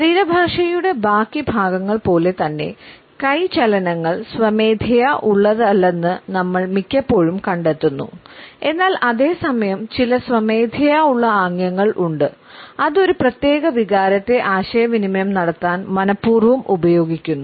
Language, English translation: Malayalam, Most of the time we find that hand movements like the rest of the body language aspect are involuntary, but at the same time there may be certain voluntary gestures which we can deliberately use to communicate a particular emotion or a feeling to the onlooker